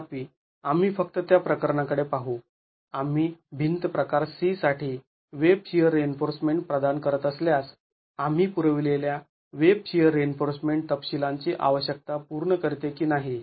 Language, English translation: Marathi, However, let us just look at the case where if we were to provide web shear reinforcement for wall type C whether the web shear reinforcement that we provide satisfies the requirements of detailing